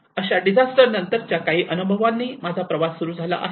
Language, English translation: Marathi, Like some of the post disaster experience which where my journey have started